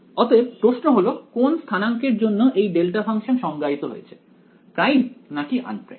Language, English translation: Bengali, So, the question is in for which coordinates is this delta function defined primed or un primed